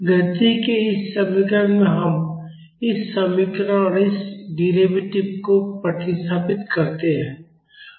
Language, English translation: Hindi, Let us substitute this equation and its derivatives in this equation of motion